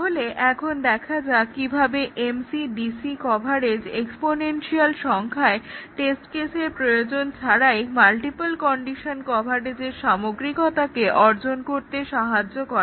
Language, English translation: Bengali, Now, let us see can we achieve the thoroughness of testing of multiple condition coverage without having an exponential number of test cases